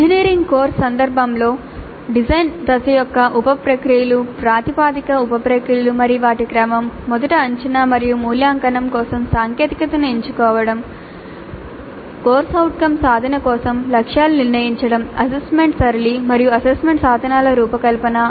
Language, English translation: Telugu, So the sub processes of a design phase are now that in the context of an engineering course the proposed sub processes and their sequence are first selecting the technology for assessment and evaluation which we will see in the next unit, setting targets for CO attainment, designing the assessment pattern and assessment instruments